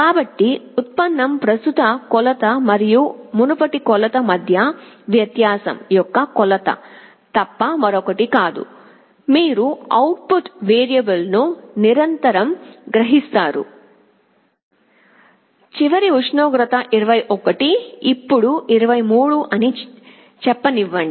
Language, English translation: Telugu, So, derivative is nothing but a measure of the difference between the current measure and the previous measure, you continuously sense the output variable, you saw that last time the temperature was let us say 21 now it is 23